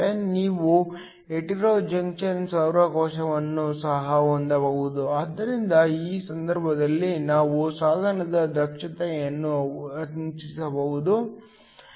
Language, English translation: Kannada, You could also have a hetero junction solar cell, so in this case you can increase the efficiency of the device